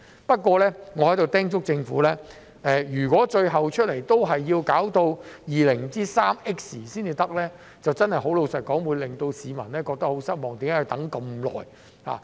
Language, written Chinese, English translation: Cantonese, 不過，我在此叮囑政府，如果最後也要到 203X 年才能完成，坦白說，這真的會令市民感到很失望，為何要等這麼久？, Having said that let me remind the Government here that if eventually this Link would be completed only in year 203X frankly speaking this would really be most disappointing to the public who would query why it would take such a long time